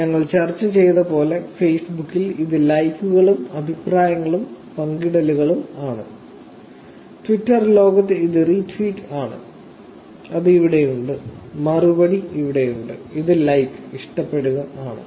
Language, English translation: Malayalam, As we discussed in Facebook, we talked about likes, comments and shares, in the Twitter world it is retweet, which is here, reply, that is here and this is like